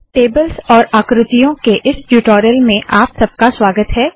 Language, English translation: Hindi, Welcome to this tutorial on tables and figures